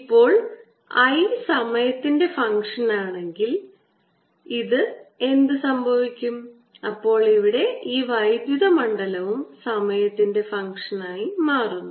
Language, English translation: Malayalam, if this i is a function of time, then this electric field here, e, becomes a function of time, right